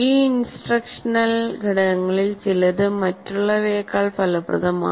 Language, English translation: Malayalam, Some of these instructional components are more effective than others